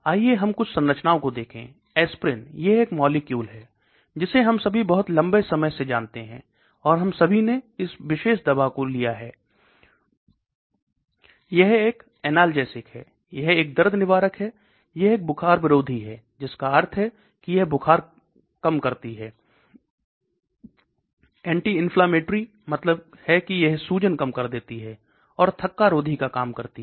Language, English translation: Hindi, Let us look at some structures, aspirin this is a molecule we all must be knowing for a very long time, and we all would have taken this particular drug, it is an analgesic, it is a pain reliever, it is an antipyretic that means it reduces fever, anti inflammatory that means it reduces inflammation and anticoagulant